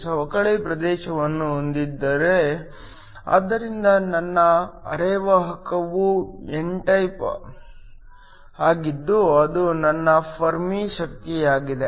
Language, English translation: Kannada, Have a depletion region, so my semiconductor is n type that is my Fermi energy